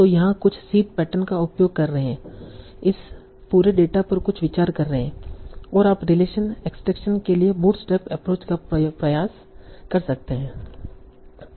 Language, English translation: Hindi, So, so idea is using some seed patterns, running some idea over this whole data, you can try to bootstrap your approach for relation extraction